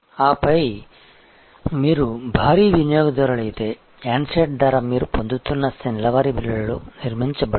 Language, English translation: Telugu, And then therefore, if you are a heavy user of course, the price of the handset is build into the monthly bill that you are getting